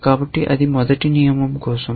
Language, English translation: Telugu, So, that is for the first rule